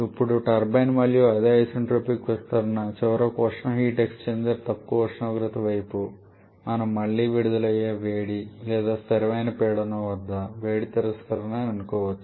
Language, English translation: Telugu, Now turbine again it is isentropic expansion and finally the heat exchanger low temperature side again we can assume that to be heat release or heat rejection at constant pressure